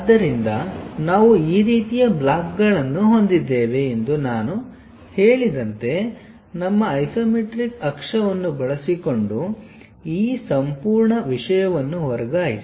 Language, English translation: Kannada, So, as I said we have this kind of blocks, transfer this entire thing using our isometric axis